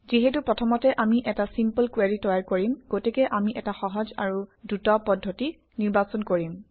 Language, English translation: Assamese, Since we are creating a simple query first, we will choose an easy and fast method